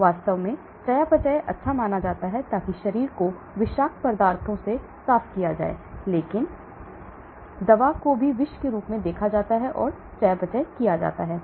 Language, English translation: Hindi, In fact, the metabolism is supposed to be good, so that the body is cleaned with the toxins, but drug also is viewed as a toxin and gets metabolized